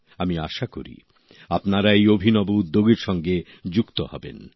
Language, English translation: Bengali, I hope you connect yourselves with this novel initiative